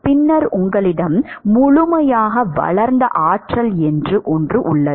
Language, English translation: Tamil, And then you have something called a fully developed regime